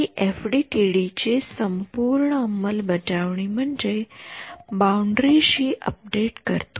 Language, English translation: Marathi, So, this whole implementing in FDTD is how do I update E y on the boundary